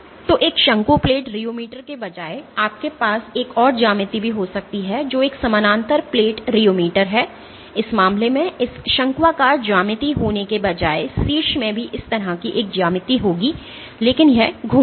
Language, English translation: Hindi, So, instead of a cone plate rheometer you can also have another geometry which is a parallel plate rheometer, in this case instead of having this conical geometry the top will also have a geometry like this, but it will rotate